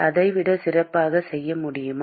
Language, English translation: Tamil, can we do it better than that